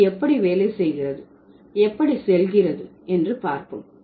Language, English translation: Tamil, So, let's see how it works and how it goes